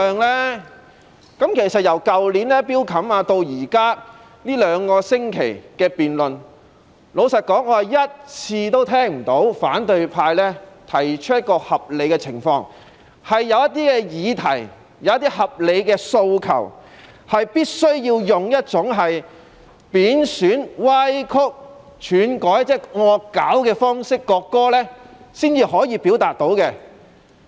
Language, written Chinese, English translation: Cantonese, 從去年法案委員會的討論至這兩星期的辯論中，老實說，我一次也聽不到反對派提出合理的論據，引證有些議題或合理的訴求，是必須利用一種貶損、歪曲、竄改——即是"惡搞"——國歌的方式才能表達。, Honestly during the discussions in the Bills Committee last year and the debate in these two weeks I have not heard even one justified argument from the opposition camp which can prove that some issues or reasonable demands can only be expressed by means of disrespecting distorting and altering―that is parodying―the national anthem